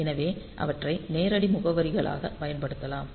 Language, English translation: Tamil, So, we can use them as direct addresses